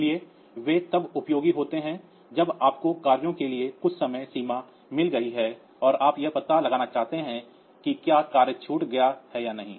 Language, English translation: Hindi, So, they are useful when you have when you have got some deadlines for tasks and you want to detect whether the task has missed it is deadline or not